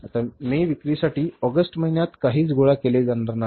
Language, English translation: Marathi, So, now nothing will be collected for May sales in the month of August